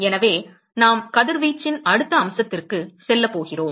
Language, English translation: Tamil, So, that we are going to move into the next aspect of Radiation